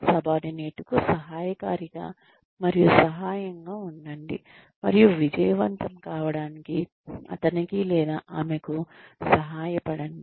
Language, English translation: Telugu, Be helpful and supportive to the subordinate, and help him or her to succeed